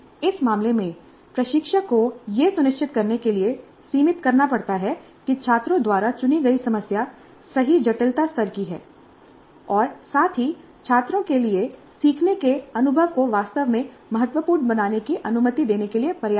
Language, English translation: Hindi, Because in this case, instructor has to moderate to ensure that the problem selected by the students is of right complexity level as well as open and read enough to permit the learning experience to be really significant for the students